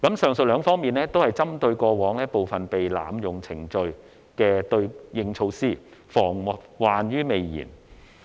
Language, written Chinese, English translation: Cantonese, 上述兩方面均是針對過往部分被濫用程序的對應措施，防患於未然。, The two aspects above are both counter measures against past abuses of some of the procedures so as to prevent them from happening again